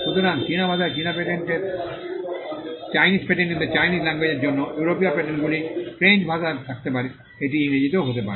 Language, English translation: Bengali, So, for the Chinese patent in the Chinese language, European patents could be in French, it could be in English